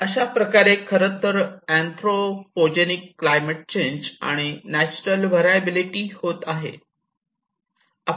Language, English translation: Marathi, And which is actually causing the anthropogenic climate change and also the natural variability